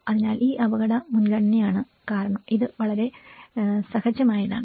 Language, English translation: Malayalam, So, this is the risk prioritization because that is very much instinctual